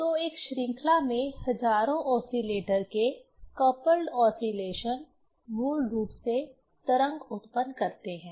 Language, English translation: Hindi, So, coupled oscillation of thousands oscillator together in a chain basically produce wave